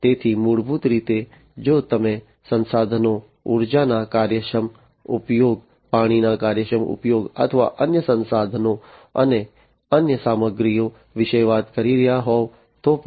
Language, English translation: Gujarati, So, basically, you know, even if you are talking about resources, efficient utilization of energy, efficient utilization of water, or other resources, and other materials that are used